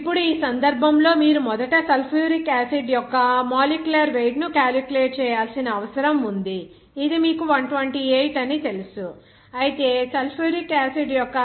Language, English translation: Telugu, Now, in this case, you need to calculate first the molecular weight of the sulfuric acid, it is known to you it is 128 whereas 0